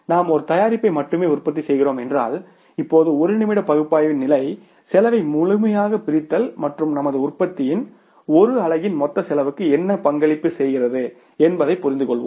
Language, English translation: Tamil, If we are manufacturing only one product then we will now go for the minute micro level of the analysis, complete dissection of the cost and trying to understand what contributes the cost, total cost of the one unit of our product